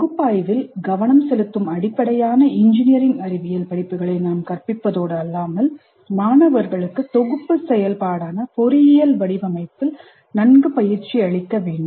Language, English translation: Tamil, We should not only teach core engineering science courses which focus on analysis, but we should also train the students well in engineering design, which is a synthesis activity